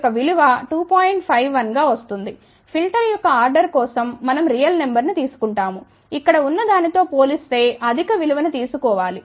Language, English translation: Telugu, 51 of course, we come take real number for order of the filter we have to take the higher value compared to this one here